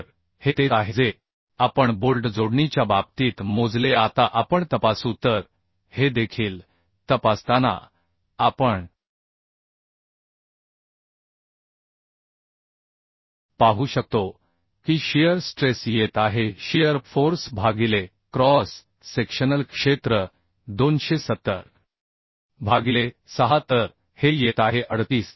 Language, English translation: Marathi, Now we will check so checking also we can see that shear stress is coming shear force divided by cross sectional area 270 by 6 so this is becoming 38